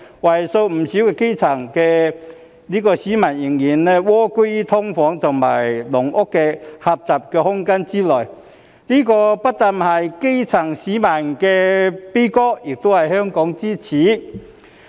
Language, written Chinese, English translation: Cantonese, 為數不少的基層市民仍蝸居在"劏房"、"籠屋"的狹小空間之內，這不單是基層市民的悲歌，亦是香港之耻。, Quite a number of grass roots are still living in the small space of SDUs or caged homes . This is not only the lament of the grass roots but also the shame of Hong Kong